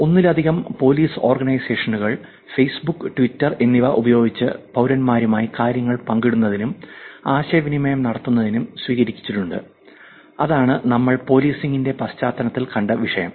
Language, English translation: Malayalam, Multiple police organizations have actually adopted using Facebook, Twitter, for sharing for interacting with the citizens and that is the topic that we saw in the context of policing